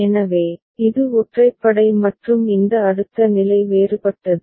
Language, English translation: Tamil, So, this is the odd one out and this next state becomes different